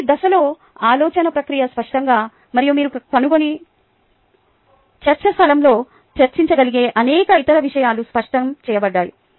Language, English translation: Telugu, the thought process were at every stage was made clear, and many other things that you can find and probably discuss on the forum